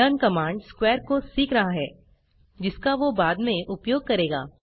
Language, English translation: Hindi, The command learn is just learning other command square to be used later